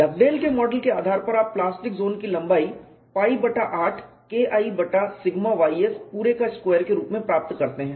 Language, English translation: Hindi, Based on Dugdale’s model, you get the length of the plastic zone as pi by 8 K1 by sigma y s whole square and if you really calculate the value of pi by 8 it reduces to 0